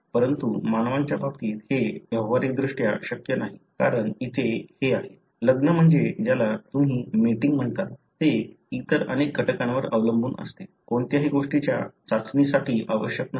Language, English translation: Marathi, But, it is practically not possible in case of humans, because here this is; the marriage is what you call otherwise as mating it depends on many other factors, not necessarily for testing anything